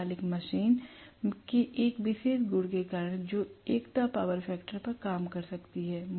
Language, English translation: Hindi, Because of this particular property of the synchronous machine which can work at unity power factor